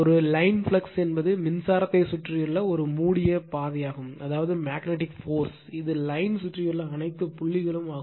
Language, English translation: Tamil, A line of flux is a closed path around the current such that the magnetic force is tangential to it is all point around the line